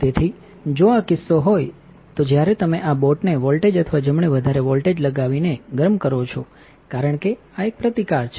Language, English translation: Gujarati, So, if this is the case your alum when you heat this boat by applying a voltage or right higher voltage because this is a resistance